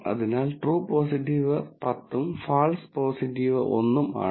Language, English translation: Malayalam, So, the true positive is 10 and false positive is 1